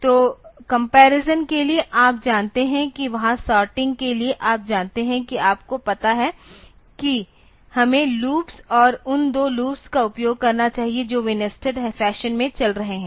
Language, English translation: Hindi, So, for comparison you know there for the sorting you know that we should you have to loops and those two loops they will be operating in a nested fashion